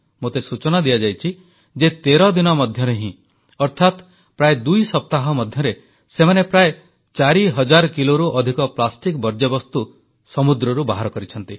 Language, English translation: Odia, And I am told that just within 13 days ie 2 weeks, they have removed more than 4000kg of plastic waste from the sea